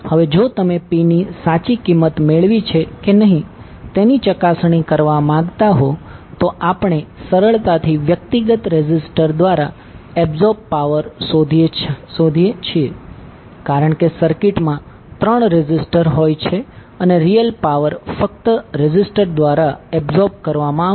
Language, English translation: Gujarati, Now if you want to cross verify whether you have arrived at the correct value of P, what we can do we can simply find the power absorbed by the individual resistors because the circuit contains three registers and real power will only be absorbed by the resistors